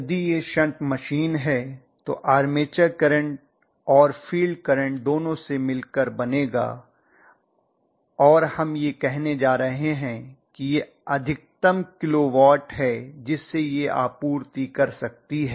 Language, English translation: Hindi, Which will consist of both armature current and field current if it is a shunt machine right and we are going to say that this is the maximum kilo watt that it can supply